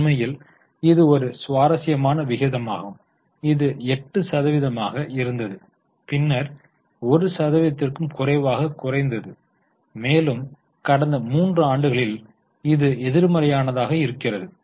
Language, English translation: Tamil, So, really interesting ratio it was 8%, then became less than 1% and it's negative in last 3 years